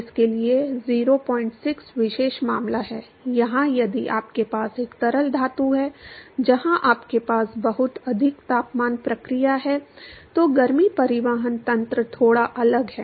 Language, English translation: Hindi, 6 is the special case where, if you have a liquid metals where you have a very high temperature process, then the heat transport mechanism is slightly different